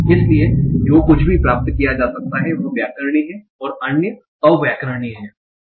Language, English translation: Hindi, So whatever can be derived are grammatical and others are ungrammatical